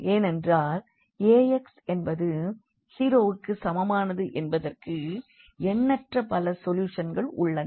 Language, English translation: Tamil, So, they will be definitely 0 when we have Ax is equal to 0